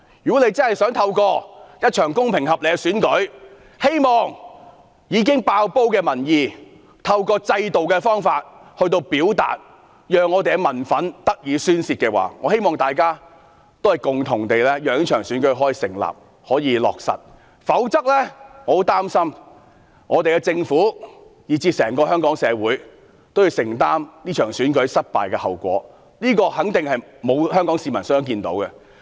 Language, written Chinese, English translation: Cantonese, 如果政府真的想透過一場公平合理的選舉，讓已經"爆煲"的民意以選舉制度來表達，讓民憤得以宣泄，希望大家共同讓這場選舉可以落實，否則，我很擔心政府，以至整個香港社會都要承擔這場選舉失敗的後果，這肯定是沒有香港市民想看到的。, Would they please take the blame . If the Government truly wishes to let the already boiling public sentiments be expressed through a fair and reasonable election and let public anger be vented through the election system I hope we can jointly let this election be held; otherwise I am afraid that the Government as well as our entire society will have to bear the outcome of a failed election together . This will definitely be something no Hongkonger wishes to see